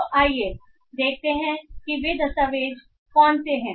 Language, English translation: Hindi, So let us see which are those documents